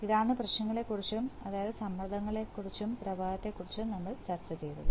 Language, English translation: Malayalam, This is, we have discussed regarding the issues, regarding pressure and flow